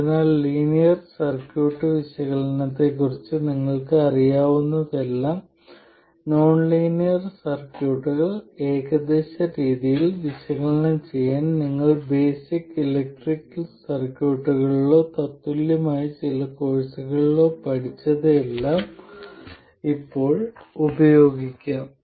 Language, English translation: Malayalam, So, now you can use everything that you know about linear circuit analysis, whatever you learned in basic electrical circuits or some equivalent course, to analyze nonlinear circuits as well in an approximate way